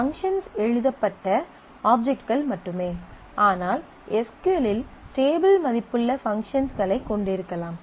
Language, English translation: Tamil, Functions, we always know functions written objects only, but in SQL you can have functions which have table valued which written new functions